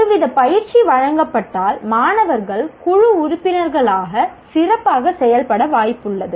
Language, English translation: Tamil, So some kind of coaching if it is given, students are likely to perform better as team members